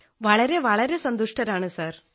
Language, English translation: Malayalam, Very very happy sir